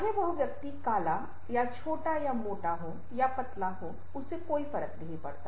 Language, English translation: Hindi, whether the person, ah, is black or dark or short or fat or thin, doesn't matter